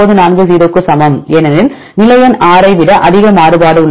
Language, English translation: Tamil, 940 because there is more variable than the position number 6